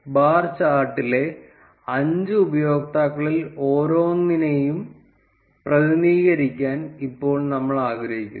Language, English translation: Malayalam, Now we wanted to represent each of the 5 users on the bar chart